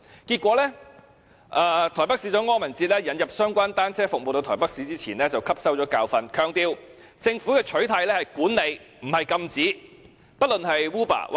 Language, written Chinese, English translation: Cantonese, 結果，台北市長柯文哲引入相關單車服務到台北市前，便汲取了教訓，強調政府的取態是管理，而不是禁止。, Consequently the Mayor of Taipei KO Wen - je learnt the lessons before introducing the bicycle - sharing service to Taipei and emphasized that the governments stance on it was management but not prohibition